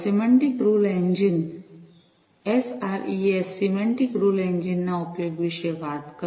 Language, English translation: Gujarati, talked about the use of semantic rule engines SREs, Semantic Rule Engines